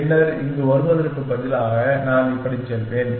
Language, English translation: Tamil, Then, instead of coming here I will go like this